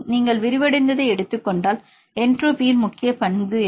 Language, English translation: Tamil, If you take the unfolded states what is the major contribution the entropy right